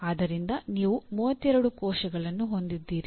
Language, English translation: Kannada, So you have 32 cells